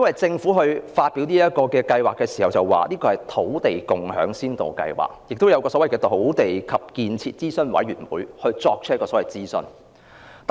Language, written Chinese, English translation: Cantonese, 政府在發表這項計劃時已說明，這是土地共享先導計劃，並已由土地及建設諮詢委員會進行諮詢。, When the project was announced the Government stated that this was a Land Sharing Pilot Scheme and the Land and Development Advisory Committee had been consulted